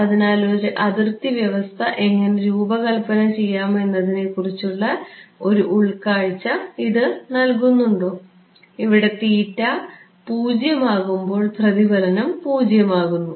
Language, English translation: Malayalam, So, does this give you some insight into how to design a boundary condition, here the reflection is becoming 0, at theta equal to 0